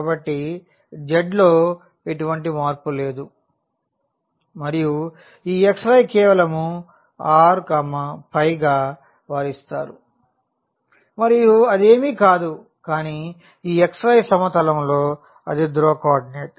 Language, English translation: Telugu, So, there is no change in the z and this xy simply they are given by this r phi and that is nothing, but the polar coordinate in this xy plane